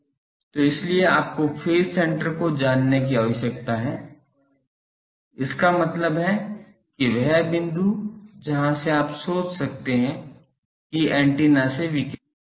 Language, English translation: Hindi, So, that is why you need to know the phase center; that means the point from where you can think that antennas radiation is coming